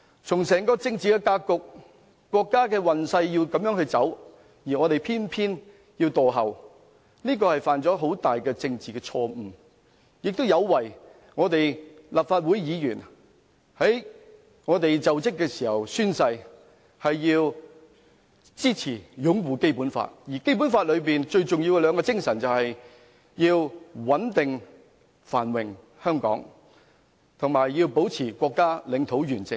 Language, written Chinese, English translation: Cantonese, 從整個政治格局，國家的運勢要這樣走，而我們偏要墮後，這犯下了很大政治錯誤，亦有違立法會議員就職時宣誓支持、擁護《基本法》的誓言，而《基本法》最重要的兩種精神是要香港穩定繁榮，以及保持國家領土完整。, Against the backdrop of the overall political setting today the entire nation is moving towards this direction yet of all things we choose to fall behind . This is a big mistake politically and by doing so the Members have violated the oaths to support and uphold the Basic Law taken during inauguration . After all the two essential spirits of the Basic Law are to maintain Hong Kongs prosperity and stability as well as upholding the nations territorial integrity